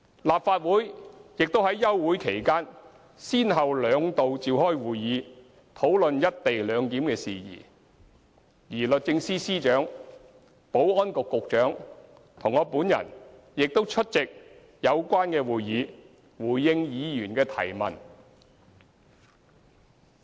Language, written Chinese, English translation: Cantonese, 立法會也於休會期間先後兩度召開會議討論"一地兩檢"事宜，而律政司司長、保安局局長及我本人亦出席有關會議，回應議員的提問。, Also the Legislative Council held two meetings during its recess to discuss matters relating to the co - location arrangement . The Secretary for Justice the Secretary for Security and I myself attended the meetings to respond to Members questions